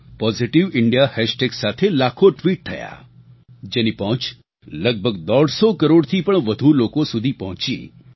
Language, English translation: Gujarati, Lakhs of tweets were posted on Positive India hashtag , which reached out to more than nearly 150 crore people